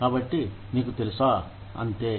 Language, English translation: Telugu, So, you know, that is all